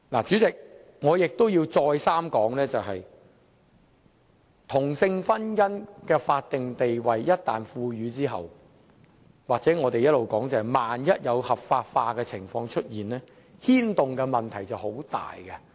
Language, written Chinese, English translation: Cantonese, 主席，我亦要再三說明，同性婚姻一旦獲賦予法定地位，或正如我們一直所說，一旦出現合法化的情況，所牽動的問題便很大。, Chairman I have to state it clearly once again that same - sex marriage once granted a statutory status or as we have been saying once it becomes lawful it will bring forth serious problems